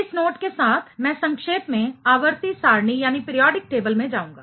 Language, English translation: Hindi, With this note, I will briefly go into the periodic table